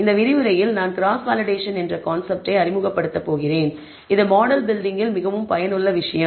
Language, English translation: Tamil, In this lecture I am going to introduce concept called Cross Validation which is a very useful thing in model building